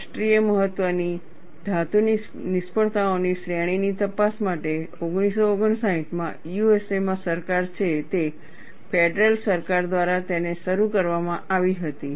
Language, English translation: Gujarati, It was commissioned by the federal government, that is the government in USA, in 1959, to investigate a series of metal failures of national significance